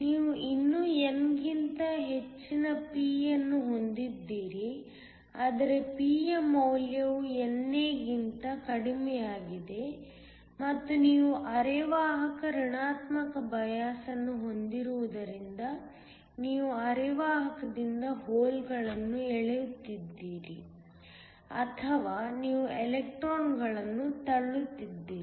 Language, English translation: Kannada, You still have p greater than n, but the value of P is less than NA and this is because you have biased the semiconductor negative so that you are pulling the holes away from the semiconductor or you are pushing electrons